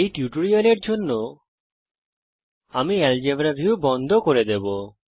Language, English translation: Bengali, For this tutorial I will close the Algebra view